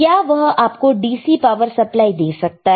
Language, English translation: Hindi, Can it give you DC power supply